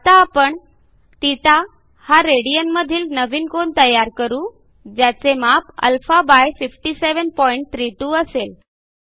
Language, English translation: Marathi, For that we will define another angle value θ in radian by dividing the value of α/57.32